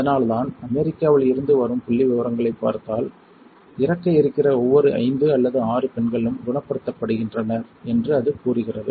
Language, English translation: Tamil, And that is why if you see the figures from United States, it says that for every 5 or 6 women is diagnosed on is dying